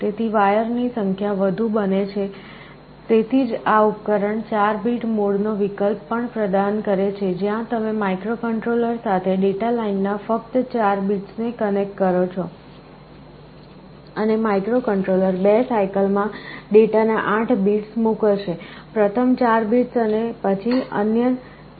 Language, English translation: Gujarati, So, the number of wires becomes more that is why this device also provides with an alternative of 4 bit mode, where you connect only 4 bits of data lines to the microcontroller, and the microcontroller will be sending the 8 bits of data in 2 cycles, first 4 bits and then the other 4 bits